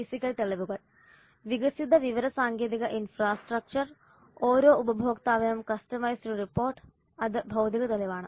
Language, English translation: Malayalam, Physical evidence developed information technology infrastructure and customized report for every customer that is the physical evidence